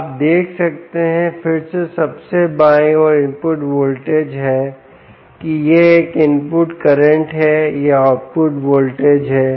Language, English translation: Hindi, ah, you can see that again, on the extreme left is the input voltage, that this is a input current, this is the output voltage and that is output current meter